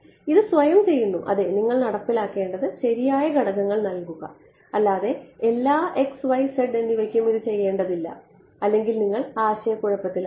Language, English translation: Malayalam, It automatically yeah you just have to implement the correct components do not do it for all x y and z otherwise you will be in trouble ok